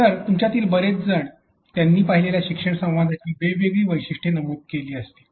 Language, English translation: Marathi, So, many of you might have come up with different features of the learning dialogues they have seen